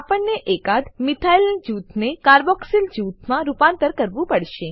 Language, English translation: Gujarati, We have to convert one of the methyl groups to a carboxyl group